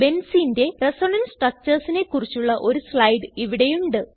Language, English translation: Malayalam, Here is slide for the Resonance Structures of Benzene